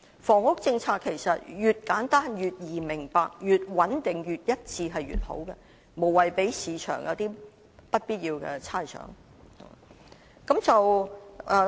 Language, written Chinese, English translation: Cantonese, 房屋政策其實越簡單、越易明白、越穩定、越一致便越好，無謂令市場有不必要的猜想。, In fact the simpler the more easily understandable the more stable and the more consistent the housing policy is the better for this can pre - empt unnecessary speculation in the market